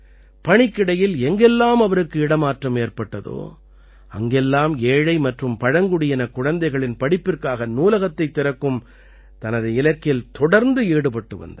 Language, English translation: Tamil, Wherever he was transferred during his job, he would get involved in the mission of opening a library for the education of poor and tribal children